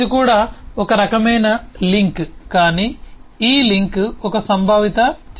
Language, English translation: Telugu, this is also a kind of link, but this link is a kind of conceptual image